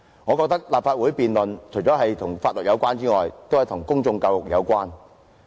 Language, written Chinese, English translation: Cantonese, 我認為立法會的辯論除了關乎法律外，亦關乎公眾教育。, I maintain that this debate in the Legislative Council is also about public education apart from legal requirements